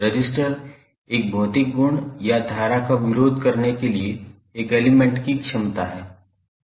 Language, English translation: Hindi, So resistance is a physical property or ability of an element to resist the current